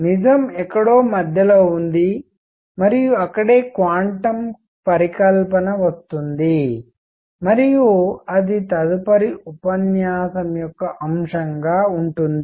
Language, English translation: Telugu, And truth is somewhere in between and that is where quantum hypothesis comes in and that is going to be the subject of the next lecture